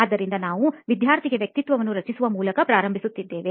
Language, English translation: Kannada, So we will start off by creating the persona for the student